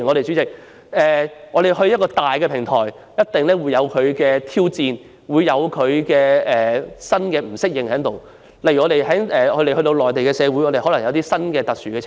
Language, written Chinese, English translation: Cantonese, 主席，一個較大的平台定會帶來挑戰，有些人或會感到不適應，例如，我們可能會在內地遇到一些特殊情況。, President a larger platform will definitely bring challenges and some people may not adapt to such challenges . For example we may encounter some special circumstances on the Mainland